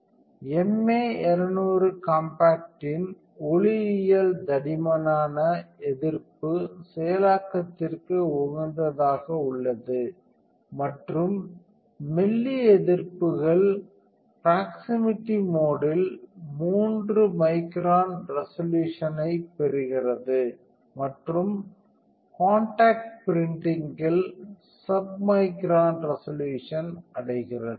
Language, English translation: Tamil, The optics of the MA 200 compact are optimized for thick resist processing and thin resists get achieves a resolution of 3 microns in proximity mode and the submicron resolution in contacts printing